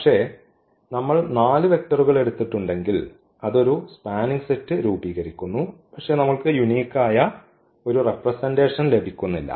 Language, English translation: Malayalam, But, if we have taken the 4 vectors still it is forming a spanning set, but we are not getting a unique representation